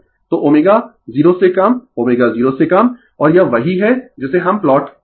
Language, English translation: Hindi, So, omega less than 0 your omega less than 0 and this is your what we call plot